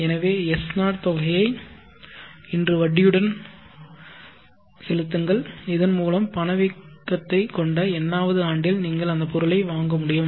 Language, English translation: Tamil, So say S0 amount today with interest I, so that you will be able to purchase the item in the nth year having inflation S